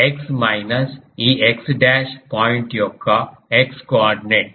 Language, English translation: Telugu, x minus the x coordinate of this x dash point